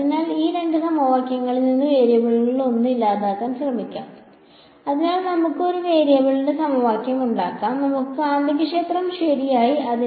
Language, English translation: Malayalam, So, let us try to eliminate one of the variables from these two equations, so let us make into a equation of one variable, let us remove the magnetic field ok